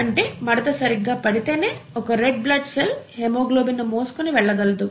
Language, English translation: Telugu, ItÕs folding correctly is what is going to result in a functional red blood cell which can carry haemoglobin, okay